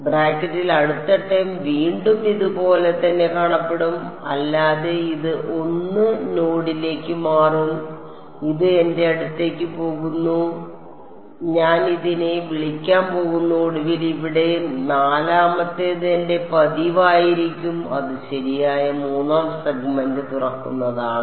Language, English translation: Malayalam, The next term in the brackets again it's going to look just like this one except it will be shifted to by 1 node right this is going to my I am going to call this T 3 and finally, the fourth one over here is going to be my usual N 3 2 that is right opening third segment